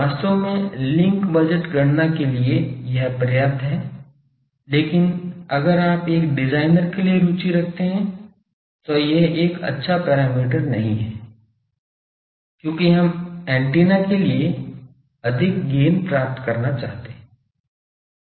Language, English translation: Hindi, Actually for link budget calculation this is sufficient, but if you are interested for a designer this is not a good parameter, because we want to have more gain to an antenna